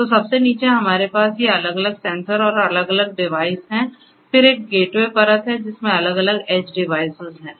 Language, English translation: Hindi, So, at the very bottom we have these different sensors and different devices then there is a gateway layer which has different edge devices and so on